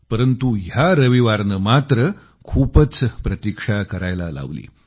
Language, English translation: Marathi, But this Sunday has made one wait endlessly